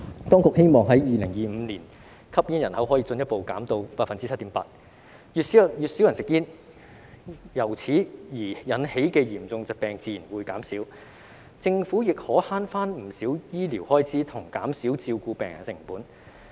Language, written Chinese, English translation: Cantonese, 當局希望在2025年，吸煙人口可以進一步下降至 7.8%， 越少人吸煙，由此而引起的嚴重疾病自然會減少，政府亦可省回不少醫療開支，以及減少照顧病人的成本。, The authorities hope that by 2025 the smoking population can be further reduced to 7.8 % . If fewer people smoke serious diseases caused by smoking will naturally reduce and the Government can save considerable medical expenses and reduce the cost of patient care